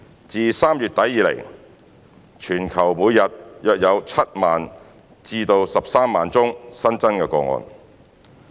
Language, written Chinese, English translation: Cantonese, 自3月底以來，全球每日約有7萬至13萬宗新增個案。, Since late March about 70 000 to 130 000 new cases have been reported daily around the world